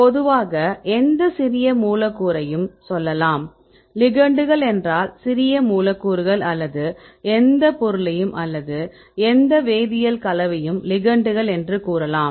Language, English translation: Tamil, Generally we can say any small molecule, so ligands are small molecules or you can see any substance or any chemical compound right